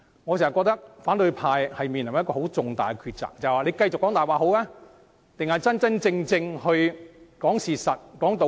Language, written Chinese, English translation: Cantonese, 我認為反對派正面臨的重大抉擇是，應該繼續說謊還是說出事實和道理？, I think that the critical choice in front of them is whether they should continue to lie or tell the truth and be reasonable